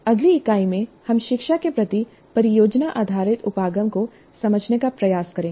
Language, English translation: Hindi, And in the next unit, we'll try to understand project based approach to instruction